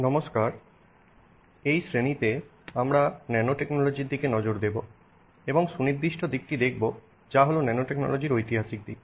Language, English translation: Bengali, Hello, in this class we will look at nanotechnology and in specific aspect that we will look at is the historical aspect of nanotechnology